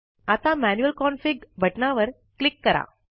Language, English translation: Marathi, Now, click on the Manual Config button